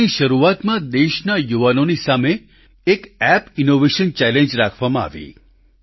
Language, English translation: Gujarati, At the beginning of this month an app innovation challenge was put before the youth of the country